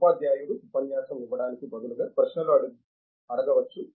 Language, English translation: Telugu, The teacher also can ask questions instead of delivering the lecture